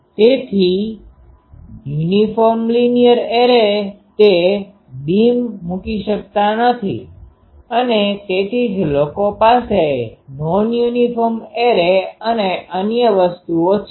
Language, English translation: Gujarati, So, uniform linear array cannot put that beam and that is why people have non uniform arrays and another things